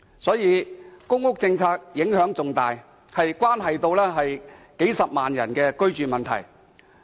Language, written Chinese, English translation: Cantonese, 所以，公屋政策影響重大，關乎數十萬人的居住問題。, Therefore housing policy carries important impact as it concerns the living condition of hundreds of thousands of people